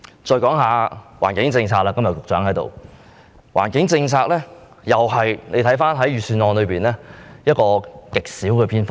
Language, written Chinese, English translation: Cantonese, 在環境政策方面——局長今天在席——環境政策在預算案中只佔極少篇幅。, In regard to environmental policies―the Secretary is present today―not much is mentioned in the Budget